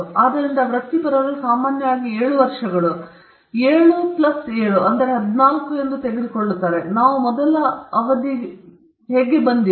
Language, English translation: Kannada, So, apprentices normally take 7 years, 7 plus 7 14, that is how we came with the first term